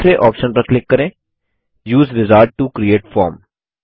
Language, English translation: Hindi, Let us click on the second option: Use Wizard to create form